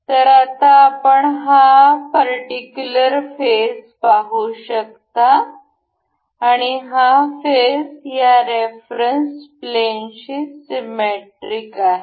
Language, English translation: Marathi, So, now, we can see this particular face and this face is symmetric about this plane of reference